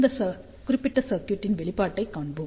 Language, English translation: Tamil, So, let us see the response of this particular circuit